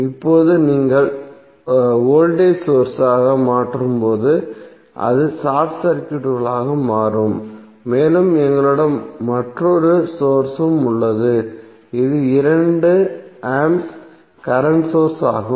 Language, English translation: Tamil, Now when you replace the voltage source it will become short circuited and we have another source which is current source that is 2A current source